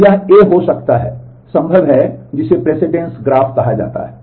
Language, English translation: Hindi, So, this could be A so, possible what is called the precedence graph